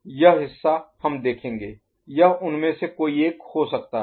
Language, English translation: Hindi, That part we shall see it can be any one of them ok